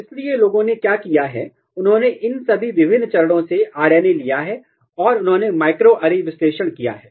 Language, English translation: Hindi, So, what people have done, they have taken RNA from here from all these different stages and they have performed the microarray analysis in great detail